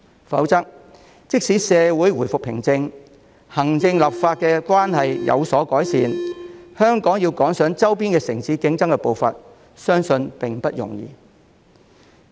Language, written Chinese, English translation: Cantonese, 否則的話，即使社會回復平靜，行政立法關係有所改善，香港要趕上周邊城市競爭的步伐，相信並不容易。, Otherwise even with a return to social peace and an improvement to the executive - legislature relationship it will not be easy for Hong Kong to keep up with the competition from peripheral cities